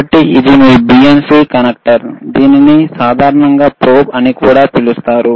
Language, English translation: Telugu, So, this is your BNC connector is called BNC connector, it is also called probe in general,